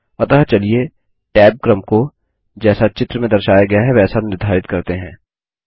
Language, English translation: Hindi, So let us set the tab order as shown in the image here